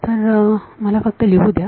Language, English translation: Marathi, So, let me just write this